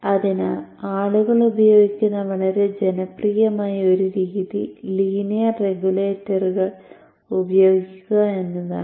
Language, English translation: Malayalam, So one very popular method which people use is to use linear regulators